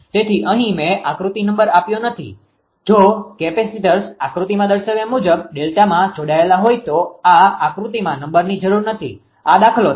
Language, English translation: Gujarati, So, figure number I have not given here if the capacitors are connected in dell tan shown in figure actually this is the figure know number is required here it is numerical